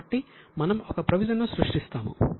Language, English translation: Telugu, So, we will create a provision